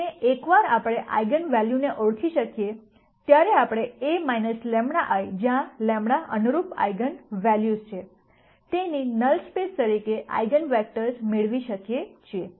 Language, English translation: Gujarati, And once we identify the eigenvalues we can get eigenvectors as the null space of A minus lambda I where lambda is the corresponding eigenvalue